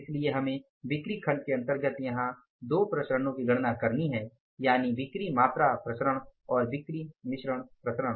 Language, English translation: Hindi, So, we will have to calculate these two variances here under the sales volume category that is the sales mix variance, sales quantity variance, right